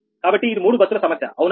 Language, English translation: Telugu, this is also three bus problem